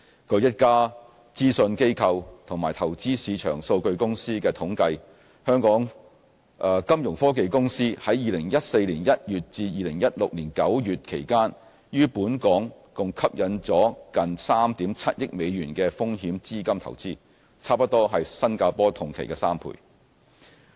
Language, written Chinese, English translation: Cantonese, 據一家諮詢機構及投資市場數據公司的統計，金融科技公司在2014年1月至2016年9月期間於本港共吸引了近3億 7,000 萬美元的風險資金投資，差不多是新加坡同期的3倍。, According to statistics from a consultancy firm and a service provider for investment market data Hong Kong attracted US370 million of venture capital investment in Fintech companies between January 2014 and September 2016 almost tripling that of Singapore over the same period